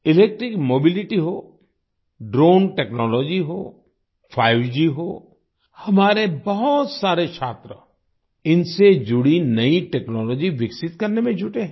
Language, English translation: Hindi, Be it electric mobility, drone technology, 5G, many of our students are engaged in developing new technology related to them